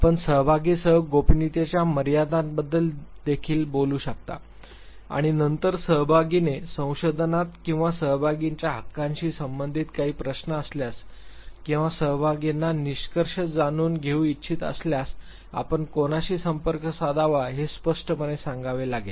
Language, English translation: Marathi, You might even talk about the limits to confidentiality with the participants and then you have to very clearly state whom to contact if the participant has any question related to the research or the rights of the participants or if the participants wants to know the findings